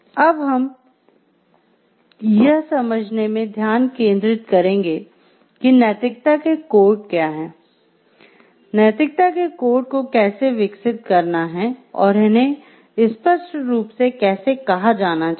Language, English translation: Hindi, Next, we will focus into understanding what is codes of ethics, what it is, what it is not how to develop the code of ethics, how it should be stated clearly